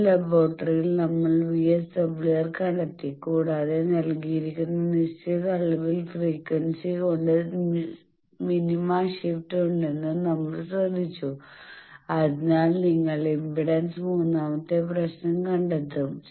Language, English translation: Malayalam, That in a laboratory we have found the VSWR, and also we have noted that minima shift by certain amount frequencies given, so you will up to find the impedance and also the third problem